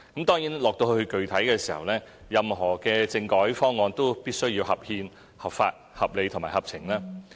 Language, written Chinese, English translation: Cantonese, 當然，具體而言，任何政改方案都必須合憲、合法、合理和合情。, In particular any proposal on constitutional reform must be constitutional lawful reasonable and sensible